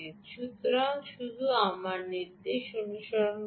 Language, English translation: Bengali, ok, so just follow my instruction